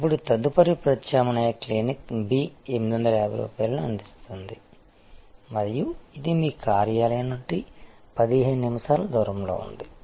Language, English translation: Telugu, Now, the next alternative Clinic B might be offering 850 rupees and it is just located 15 minutes away from your office